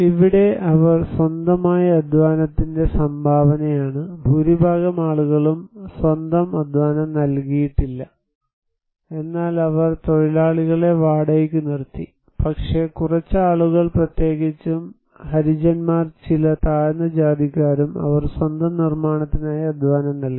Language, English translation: Malayalam, Here is the contribution of the labour for their own, most of the people they did not provide their own labour but they hired labour, you can see these all are hired labour and some few people especially the Harijans and some low caste groups, they contributed labour for their own constructions